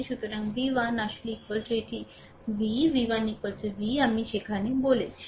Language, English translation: Bengali, So, v 1 actually is equal to this v, v 1 is equal to v I told you there right